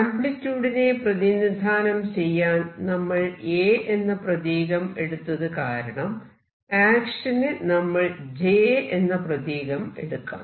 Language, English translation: Malayalam, Let us write this in terms of action, let me use J for action because I am using A for amplitude